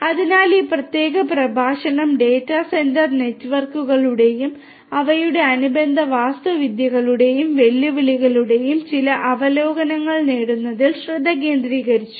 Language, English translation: Malayalam, So, this particular lecture focused on getting some overview of data centre networks and their corresponding architectures and challenges and so on